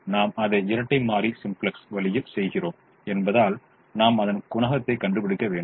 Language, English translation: Tamil, since we are doing it the dual simplex way, we have to find out the coefficient